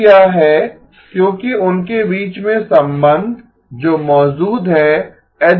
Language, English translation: Hindi, Again, this is because of the relationships that exist between them H0 and H1